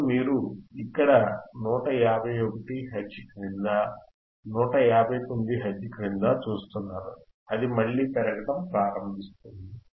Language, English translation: Telugu, Now you see here below 151 Hertz, below 159 Hertz it will again start increasing